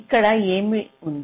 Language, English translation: Telugu, what are you doing